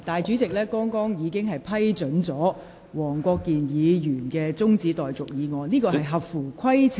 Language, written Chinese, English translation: Cantonese, 主席剛才已批准黃國健議員提出中止待續議案，而有關議案亦合乎規程。, Just now the President has approved Mr WONG Kwok - kins adjournment motion and the relevant motion is moved in accordance with the procedure